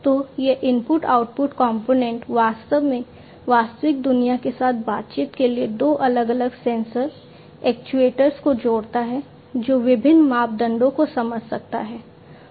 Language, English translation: Hindi, So, this input output component in fact, for the interaction with the real world connects two different sensors, actuators, and which can sense different parameters